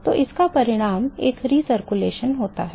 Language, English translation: Hindi, So, this results in a recirculation